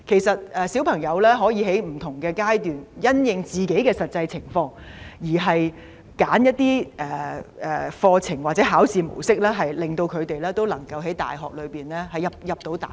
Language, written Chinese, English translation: Cantonese, 小朋友可以在不同階段因應自己的實際情況，選擇課程或考試模式，令他們能夠進入大學。, Students can choose different programmes or examination formats at different stages according to their actual circumstances to enter universities